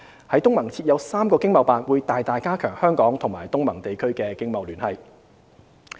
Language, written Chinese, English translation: Cantonese, 在東盟設有3個經貿辦會大大加強香港與東盟地區的經貿聯繫。, The presence of three ETOs in ASEAN will robustly strengthen our trade and economic ties with ASEAN countries